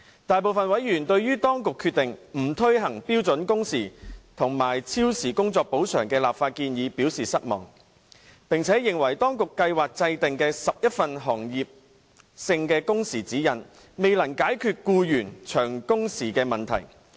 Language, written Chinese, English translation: Cantonese, 大部分委員對於當局決定不推行標準工時和超時工作補償的立法建議表示失望，並且認為當局計劃制訂的11份行業性工時指引未能解決僱員長工時的問題。, Most members were disappointed at the authorities decision of refusing to take forward any legislative proposal on standard working hours and overtime compensation while considering that the 11 sector - specific working hours guidelines which the authorities intended to formulate could not resolve the problem of prolonged working hours faced by employees